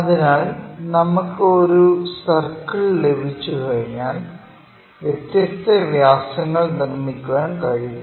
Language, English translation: Malayalam, So, once we have a circle, we can construct different diameters